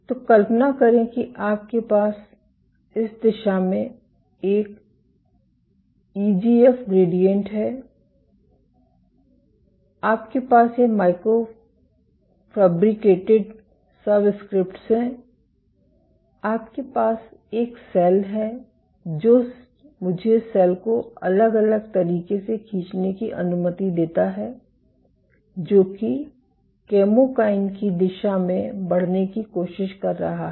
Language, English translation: Hindi, So, imagine you have an EGF gradient in this direction, you have these micro fabricated subscripts and you have a cell let me draw the cell in different way, which is trying to move in the direction of the chemokine